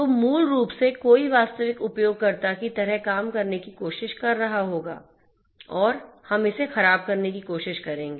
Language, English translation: Hindi, So, basically you know somebody will be trying to act like a genuine you know genuine user and we will try to spoof in